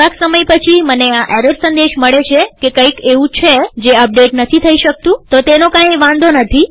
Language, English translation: Gujarati, After a few minutes, I get this error message that something can not be updated, so it doesnt matter